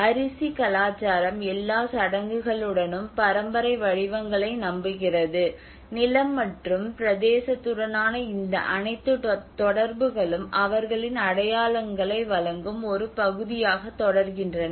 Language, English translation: Tamil, And here it becomes you know the rice culture with all the rituals believes the inheritance patterns and all these associations with the land and territory continue to be part of their identity providing means in their lives